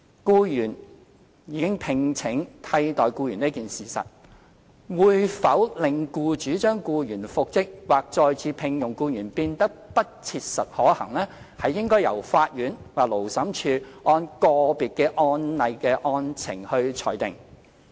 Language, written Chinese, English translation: Cantonese, 僱主已聘請替代僱員這一事實，會否令僱主將僱員復職或再次聘用僱員變得不切實可行，應由法院或勞審處按個別案例的案情裁定。, Whether the employers engagement of a replacement has made it not practicable for the employer to reinstate or re - engage the dismissed employee should be ruled by the court or Labour Tribunal based on the individual circumstances of each case